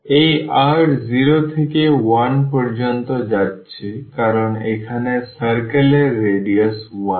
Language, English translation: Bengali, The r is going from 0 to 1 because, that is the radius here is 1 of the circle